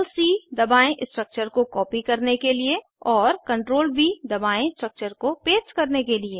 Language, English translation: Hindi, Press CTRL +C to copy the structure and Press CTRL + V to paste the structures